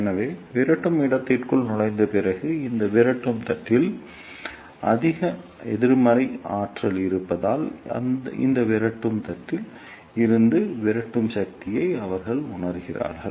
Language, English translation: Tamil, So, after entering into the repeller space, they feel repulsive force from this repeller plate because of the high negative potential at this repeller plate